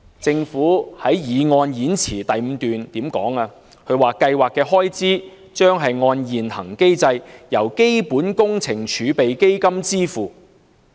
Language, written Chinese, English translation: Cantonese, 政府在動議擬議決議案的演辭第五段說："計劃的開支將按現行機制由基本工程儲備基金支付。, As stated by the Government in paragraph 5 of its speech moving the proposed Resolution Expenses under the Programme will be met by the Capital Works Reserve Fund under the existing mechanism